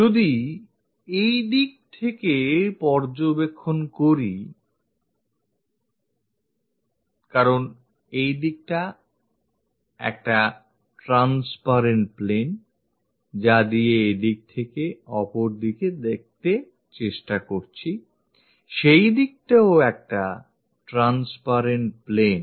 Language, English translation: Bengali, If we are observing from this direction because this is also transparent plane through which what we are trying to look at and this one also another transparent plane